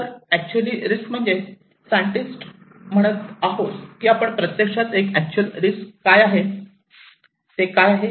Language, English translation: Marathi, So, actual risk we as scientists saying that we there is actually an actual risk, what is that